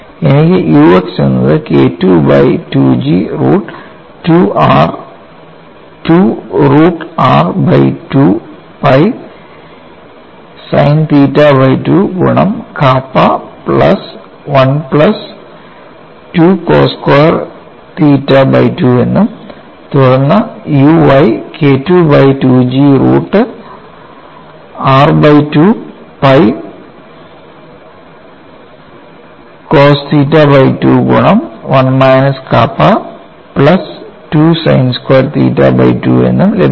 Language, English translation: Malayalam, Then u y equal to K 2 by G root of r by 2 pi cos theta by 2 multiplied by minus 1 minus nu divided by 1 plus nu plus science squared theta by 2 and u z equal to 2 nu by E multiplied by K 2 root of r by 2 pi sin theta by 2, if you are considering a plate of thickness B you have to multiplied by B